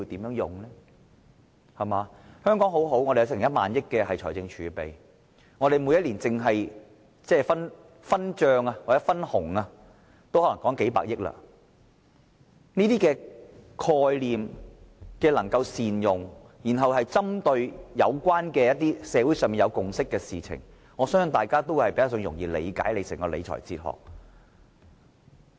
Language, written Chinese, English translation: Cantonese, 香港很好，我們有1萬億元財政儲備，每年單是分帳或分紅也可能有數百億元，如果能夠善用這些概念，然後針對社會上有共識的事情來處理，我相信大家會較容易理解他整個理財哲學。, Hong Kong is a good place . We have 1,000 billion in our fiscal reserve and there may be a few million dollars every year for distribution . If the Government can make good use of these concepts and focus on matters that have a social consensus I believe it will be easier for us to understand his fiscal philosophy as a whole